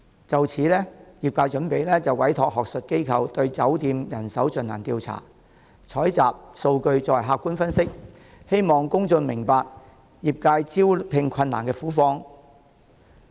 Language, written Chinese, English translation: Cantonese, 就此，業界準備委託學術機構對酒店業人手進行調查，採集數據作客觀分析，希望公眾明白業界招聘困難的苦況。, In this connection the industry is going to commission an academic institution to conduct surveys on the hotel industry and collect relevant data for objective analyses in the hope that the public will understand the plight of the industry arising from recruitment difficulties